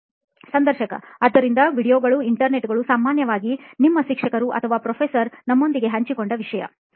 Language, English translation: Kannada, So videos, the Internet generally, content that your teachers or prof have shared with you